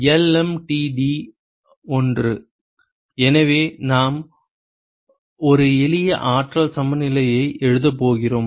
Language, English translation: Tamil, So, we are going to write a simple energy balance